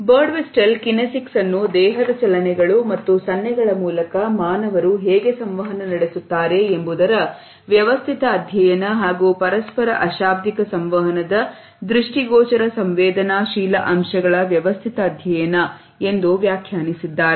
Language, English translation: Kannada, Birdwhistell had defined kinesics as “the systematic study of how human beings communicate through body movements and gesture” and also as the “systematic study of the visually sensible aspects of nonverbal interpersonal communication”